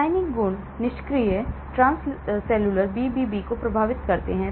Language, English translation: Hindi, The chemical properties affect the passive transcellular BBB permeation